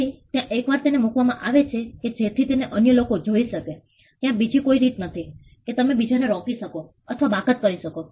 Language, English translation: Gujarati, So, there is once it is put in a way in which others can see it there is no way you can stop others from or exclude others